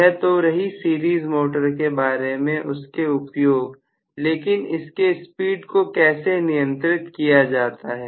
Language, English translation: Hindi, So, so much so for the series motor but there also, how to do the speed control of series motor